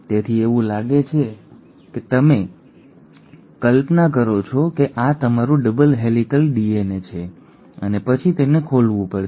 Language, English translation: Gujarati, So it is like you imagine that this is your double helix DNA and then it has to open up